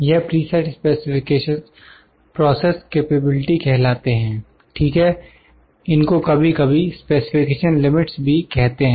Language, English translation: Hindi, These preset specifications are known as Process Capability, ok, these are also sometime called as the specification limits